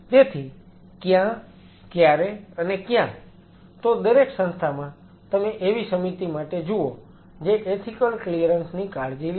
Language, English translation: Gujarati, So, which wherever and which So, where institute you are look for the committee which takes care of the ethical clearance